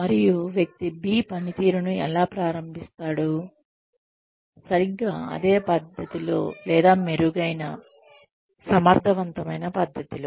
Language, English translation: Telugu, And, how will person B start performing, exactly in the same manner, or in a better, more efficient manner, than person A